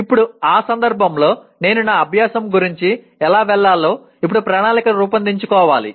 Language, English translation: Telugu, Now in that context I have to now plan how do I go about my learning